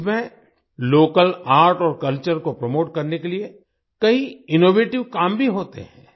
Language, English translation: Hindi, In this, many innovative endeavours are also undertaken to promote local art and culture